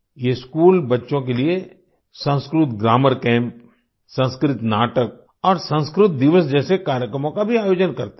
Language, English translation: Hindi, For children, these schools also organize programs like Sanskrit Grammar Camp, Sanskrit Plays and Sanskrit Day